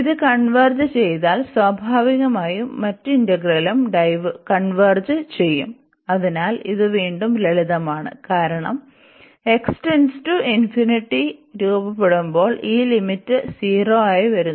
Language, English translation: Malayalam, And if this converges then naturally the other integral will also converge, so that is again a simple so, because this limit is coming to be 0 as x approaches to infinity